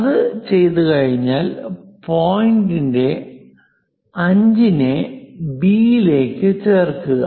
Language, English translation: Malayalam, Once it is done, join point 5 to B